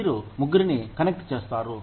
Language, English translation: Telugu, You connect all three